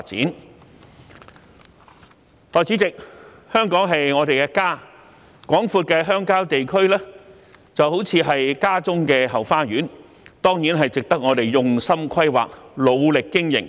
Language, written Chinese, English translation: Cantonese, 代理主席，香港是我們的家，廣闊的鄉郊地區就似是家中的後花園，當然值得我們用心規劃，努力經營。, Deputy President Hong Kong is our home . The extensive countryside is the backyard at our home . It certainly deserves our careful planning and care through hard work